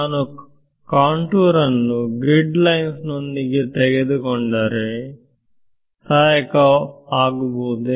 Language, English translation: Kannada, So, if I take my contour to be along the grid lines will it help me